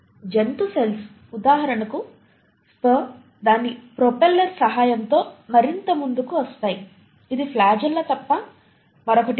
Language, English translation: Telugu, Animal cells for example sperm will propel further with the help of its propeller which is nothing but the flagella